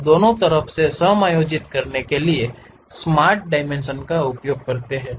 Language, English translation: Hindi, Using the Smart Dimensions we can adjust the length of that line